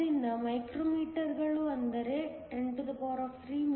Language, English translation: Kannada, So, micrometers is nothing but 10 3 mm2